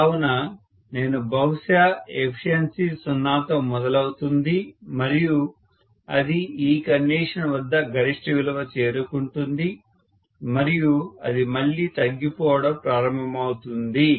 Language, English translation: Telugu, So I am going to have probably the efficiency will start with 0 and it will reach maximum around this condition and then it will start falling again, so this is what is the maximum efficiency